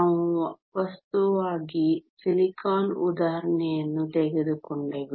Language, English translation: Kannada, We took the example of silicon as a material